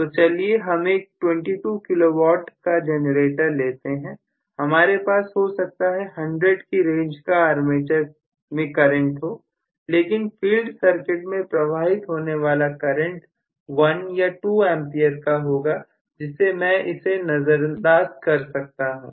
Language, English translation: Hindi, So, if I look at normally 22 kW generator, I will probably have hundreds of amperes of current through the armature, but I will have only 1 or 2 amperes of current through the field which I can afford to ignore